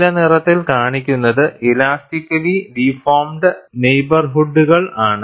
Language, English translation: Malayalam, And what is shown in blue, is the elastically deformed neighborhood